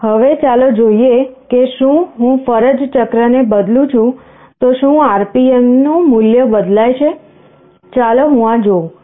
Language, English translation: Gujarati, Now let us see if I change the duty cycle does the RPM value changes, let me see this